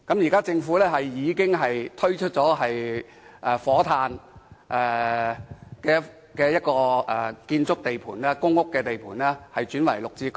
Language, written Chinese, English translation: Cantonese, 現在，政府已撥出火炭一個公屋建築地盤，將日後落成單位轉作綠置居出售。, The Government has now identified a PRH construction site in Fotan and is planning to change the PRH units to be completed there into GSH units for sale